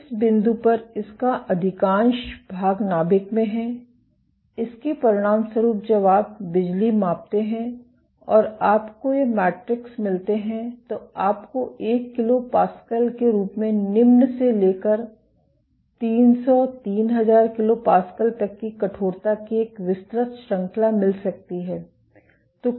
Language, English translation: Hindi, So, most of it is in the nucleus at this point; as a consequence of this when you do measure electricity and you get these metrics you might get a wide range of stiffness varying from as low as 1 kilo Pascal to as high as 300, 3000 kilo Pascal